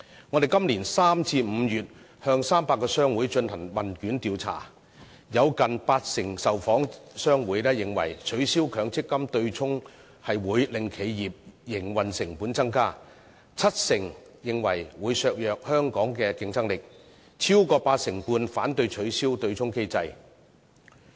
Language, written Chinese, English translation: Cantonese, 我們在今年3月至5月向300個商會進行問卷調查，當中近八成受訪商會認為，取消強積金對沖機制會令企業營運成本增加；七成受訪商會認為會削弱香港的競爭力；超過八成半受訪商會反對取消對沖機制。, In a questionnaire survey conducted by us from March to May this year in which 300 trade associations were involved nearly 80 % of the respondents considered that an abolition of the MPF offsetting mechanism would increase the operating costs of enterprises; 70 % believed that Hong Kongs competitive edge would be undermined; and more than 85 % opposed the abolition of the offsetting mechanism